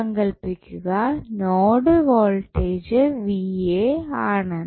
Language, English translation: Malayalam, Suppose, the node voltage is Va